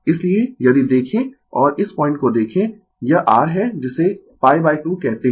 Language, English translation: Hindi, So, if you look and look at this point, it is your what you call pi by 2 right